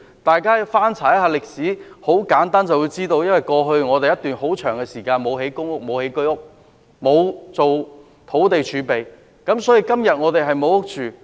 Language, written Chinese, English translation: Cantonese, 大家翻查歷史便知道，由於過去一段很長時間沒有興建公屋和居屋，沒有預留土地儲備，所以今天我們沒有房屋居住。, Just look at the past record . There has been a long time in which no public rental housing and Home Ownership Scheme housing was built and no land was set aside as reserve . That is why people have no housing to live in today